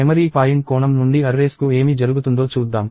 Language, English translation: Telugu, Let us see what happens to arrays from a memory point of view